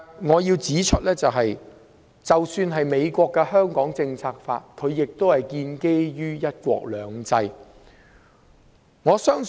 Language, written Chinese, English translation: Cantonese, 我要指出，美國的《香港政策法》也是建基於"一國兩制"。, Let me point out that the Act is also premised on one country two systems